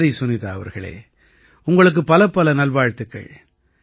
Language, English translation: Tamil, Well Sunita ji, many congratulations to you from my side